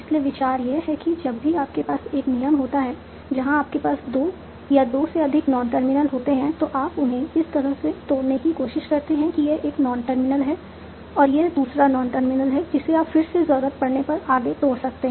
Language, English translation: Hindi, So, idea is that whenever you have a rule where you have two more than two non terminals, you try to break them down such that it is one non terminal, another non terminal, this you can again further break down if needed